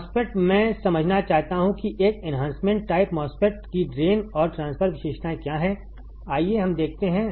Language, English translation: Hindi, MOSFET I want to understand what is the drain and transfer characteristics of an enhancement type MOSFET let us see let us see